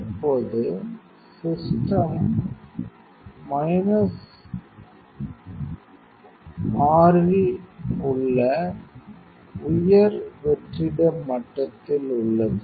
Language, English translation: Tamil, Now, the system is in a high vacuum level which is in minus 6